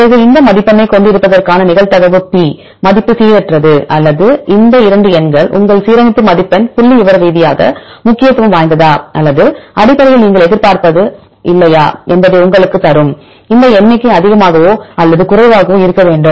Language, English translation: Tamil, Then P value which is the probability of having this score is random or that has any significance these 2 numbers will give you whether your alignment score is statistically significant or not essentially what do you expect, the number should be high or less